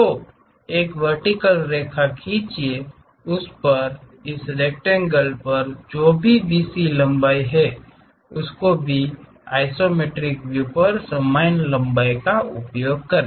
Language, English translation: Hindi, So, draw a vertical line, on that, construct whatever BC length we have it on this rectangle even on the isometric view use the same length